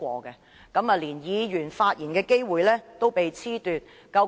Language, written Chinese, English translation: Cantonese, 如是者，議員連發言的機會也被褫奪。, In that case Members will even be deprived of the opportunity to speak